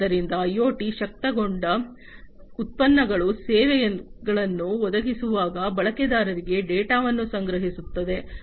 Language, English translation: Kannada, So, IoT enabled products collect data from the users, while providing services